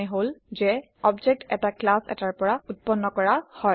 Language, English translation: Assamese, Which means an object is created from a class